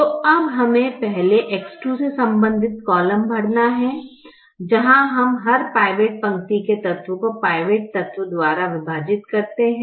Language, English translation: Hindi, so now we have to first fill the column corresponding to x two, where we divide every element of the pivot row by the pivot element